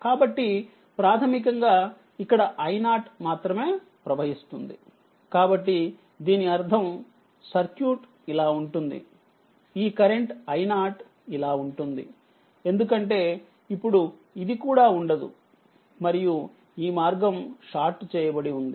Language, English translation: Telugu, So, basically I 0 will be flowing only here, so that means, circuit will be this current I 0 will be like this because this is also then this is also will not be there